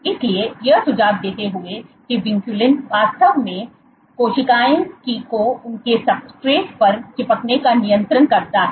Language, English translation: Hindi, So, suggesting that vinculin actually regulates the adhesiveness of cells to their substrate